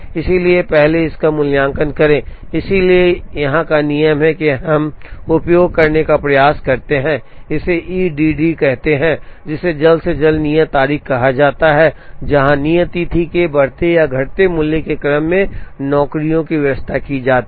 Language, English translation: Hindi, So, first evaluate that, so the rule here that, we try to use, this called E D D, which is call earliest due date, where jobs are arranged in the order of increasing or non decreasing value of the due date